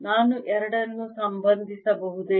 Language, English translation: Kannada, can i relate the two